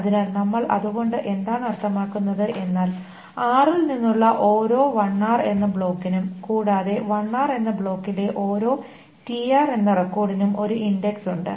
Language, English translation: Malayalam, So what do we mean by that is that for each block LR from R and then for each record TR in that block LR there is an index